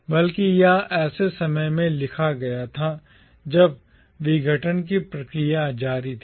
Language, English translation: Hindi, Rather, it was written at a time when the process of decolonisation was in progress